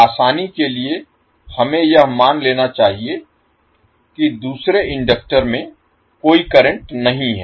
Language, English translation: Hindi, For the sake of simplicity let us assume that the second inductor carries no current